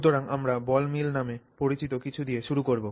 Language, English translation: Bengali, Okay, so we will begin with something called the ball mill